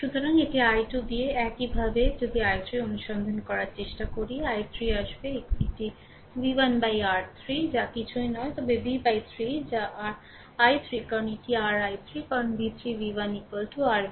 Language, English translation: Bengali, So, it will be v 2 by 4 right similarly if you try to your find out i 3, i 3 will be actually is equal to it is v 1 by your 3 that is nothing, but v by 3 that is your i 3 because this is your i 3 right because v 3 v 1 is equal to your v